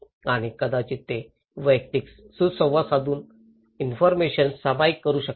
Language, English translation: Marathi, And also maybe they can share the information through personal interactions